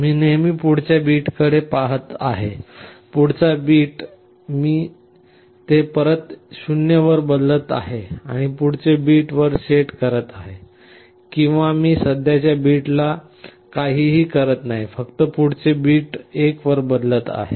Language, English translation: Marathi, Always I am looking at the next bit, the immediate bit I am changing it back to 0 and setting the next bit to 1, or I am not disturbing the present bit just changing the next bit to 1